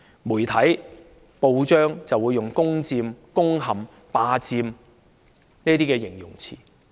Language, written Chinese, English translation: Cantonese, 媒體、報章會用"攻佔"、"攻陷"、"霸佔"等詞語來形容此情況。, This situation has been described by the media and newspapers with such terms as seize conquer occupy . It is of course a kind of occupation